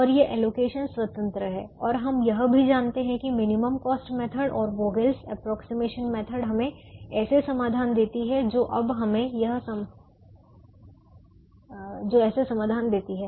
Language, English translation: Hindi, and we also know that the minimum cost method and the vogel's approximation method give us such solutions